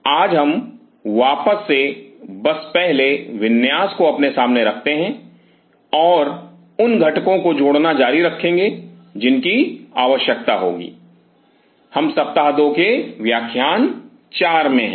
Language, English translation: Hindi, We will just first of all let us put back layout in front of us and keep on adding the components which will be needing is, we are into Week 2 lecture 4